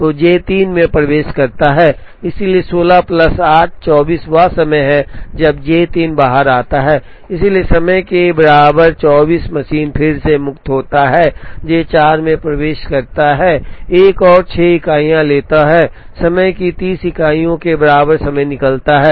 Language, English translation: Hindi, So, J 3 enters, so 16 plus 8, 24 is the time J 3 comes out, so at time equal to 24 the machine is again free J 4 enters takes another 6 units of time comes out at time equal to 30